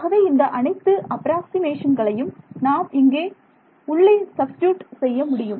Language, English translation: Tamil, So, all of these approximations we can substitute inside over here